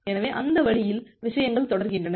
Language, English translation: Tamil, So, that way the things get continues continued